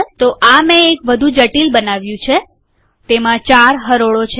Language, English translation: Gujarati, So I have created a more complicated one